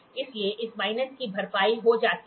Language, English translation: Hindi, So, this minus minus gets compensated